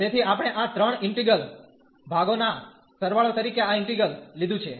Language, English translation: Gujarati, So, we have taken this integral as a sum of these three integrals